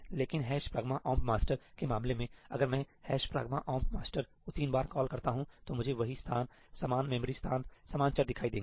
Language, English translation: Hindi, But in case of hash pragma omp master, if I am calling ëhash pragma omp masterí thrice, I will always see the same locations, the same memory locations, the same variables